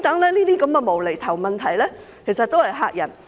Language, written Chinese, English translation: Cantonese, 這些"無厘頭"問題只是用來嚇人，嚇得自己......, Such nonsensical questions were only asked to scare people and themselves